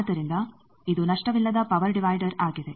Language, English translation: Kannada, So, this is the lossless power divider